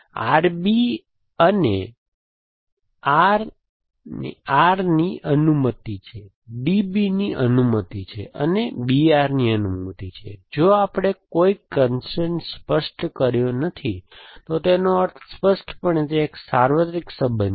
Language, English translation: Gujarati, So, R B is allowed R, R is allowed, D B is allowed, and B R is allowed, if we have not specified, if we have not specified a constrain, that means implicitly it is a universal relation